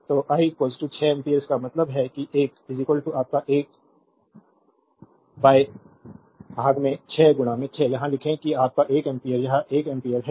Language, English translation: Hindi, So, I is equal to 6 ampere; that means, this one is equal to your 1 by 6 into 6 write in here that is your 1 ampere this is 1 ampere